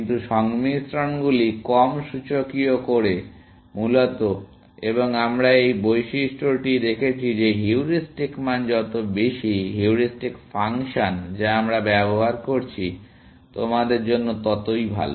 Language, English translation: Bengali, But the combinations make low exponential, essentially, and we have seen this property, that the higher the heuristic value, the heuristic function that we are using, the better for you